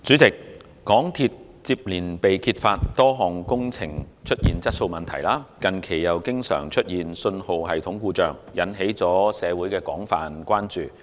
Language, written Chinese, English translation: Cantonese, 主席，香港鐵路有限公司接連被揭發多項工程出現質素問題，近期又經常出現信號系統故障，引起社會廣泛關注。, President the exposure of quality problems with a number of works projects of the MTR Corporation Limited MTRCL coupled with the recent failures of its signalling systems have aroused widespread concern in the community